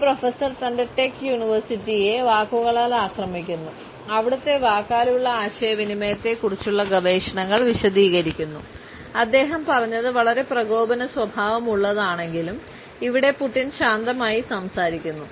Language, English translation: Malayalam, A professor attacks his tech university who researches non verbal communication explained and we see Putin’s spoke calmly even though what he was saying was pretty combative